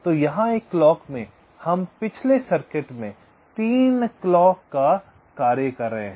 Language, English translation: Hindi, so here in one clock we are doing the task of three clocks in the previous circuit